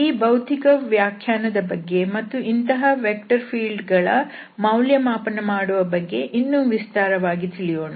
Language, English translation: Kannada, So, we will go into the detail a bit more about this physical interpretation and the evaluation of such vector field